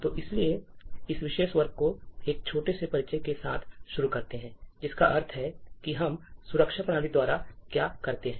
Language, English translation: Hindi, So, let us start this particular class with a small introduction about what we mean by Security Systems